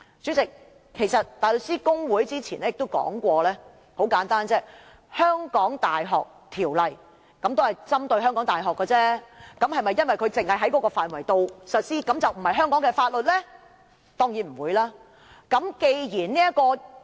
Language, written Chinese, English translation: Cantonese, 主席，大律師公會早前亦舉例，《香港大學條例》針對香港大學而制定，並在指定範圍內實施，但會否因這原因便不是香港的法律？, President the Bar Association has given an example earlier . The University of Hong Kong Ordinance is enacted to apply to the University of Hong Kong and enforced in a designated place but can we say that it will not be regarded as the laws of Hong Kong for this reason?